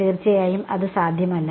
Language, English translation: Malayalam, Of course, that is not possible